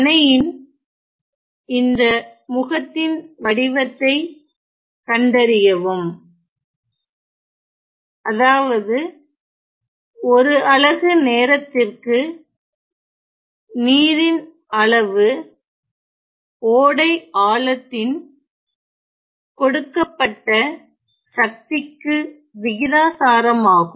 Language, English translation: Tamil, So, find the form of this face of the dam of the dam such that the quantity of water per unit time per unit time is proportional to a given power of stream depth ok